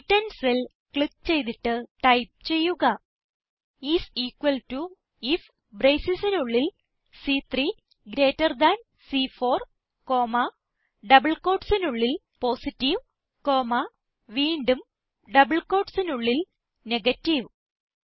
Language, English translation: Malayalam, Lets click on the cell referenced as C10 and type, is equal to IF and within braces, C3 greater than C4 comma, within double quotes Positive comma and again within double quotes Negative